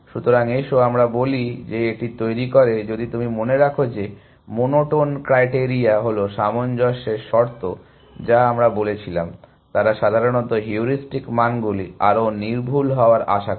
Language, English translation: Bengali, So, let us say it generates this and if you remember the monotone criteria are consistency conditions that we said, that they in generally you expect the heuristic values to become more accurate